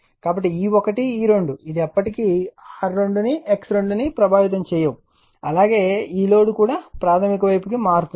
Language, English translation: Telugu, So, E 1 E 2 this is show you will never be affected not R 2 X 2 as well as this load also will transform to the primary side